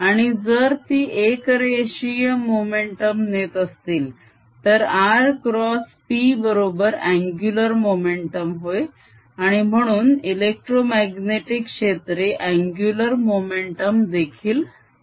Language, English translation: Marathi, two, electromagnetic field also carry momentum, and if they carry linear momentum, then r cross, p is angular momentum and therefore electromagnetic fields also carry angular momentum